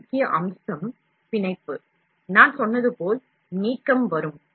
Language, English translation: Tamil, The next key feature is the bonding, as I told you delamination will come